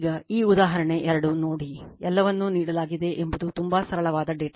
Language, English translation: Kannada, Now, you see that example 2, it is very simple data everything is given